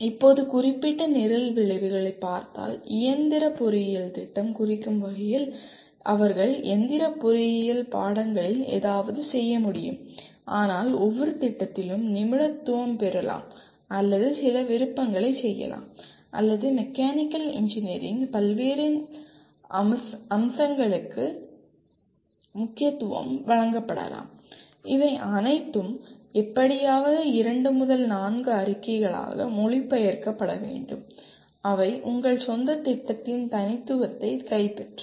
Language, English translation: Tamil, Now, coming to Program Specific Outcomes, after all mechanical engineering program would mean they should be able to do something in mechanical engineering in the discipline but then each program may specialize or make certain choices or the weightage given to different aspects of mechanical engineering and these all will have to somehow get translated into two to four statements which capture the specificity of your own program